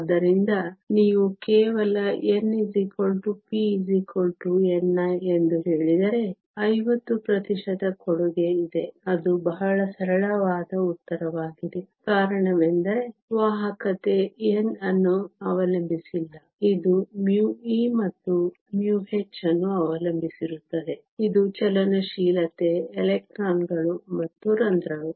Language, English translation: Kannada, So, if you just say n is equal to p is equal to n i that means, there is a 50 percent contribution that is a very simplistic answer, the reason is the conductivity not only depends on n, it also depends upon mu e and mu h, which is the mobility of the electrons and holes